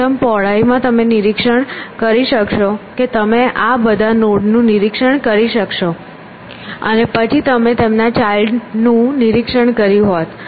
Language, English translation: Gujarati, In breadth first search you would have inspect you would inspected all these nodes, and then you would have inspected their children